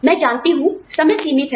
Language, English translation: Hindi, We, I know the time is limited